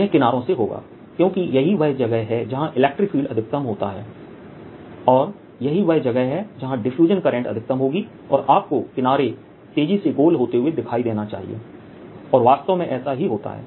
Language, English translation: Hindi, it will from the edges, because that is where electric field is maximum and that is where the current of diffusion would be maximum, and you should see the edges getting brown faster, and that is indeed what happens, right